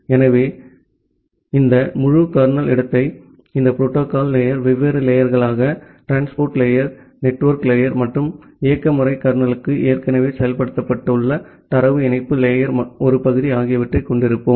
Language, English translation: Tamil, So, today we will look into that this entire kernel space which is there inside that we have this different layers of the protocol stack, the transport layer, network layer and the part of the data link layer which is already implemented inside the operating system kernel